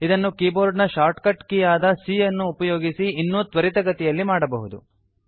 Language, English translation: Kannada, This can also be done more quickly using the keyboard shortcut c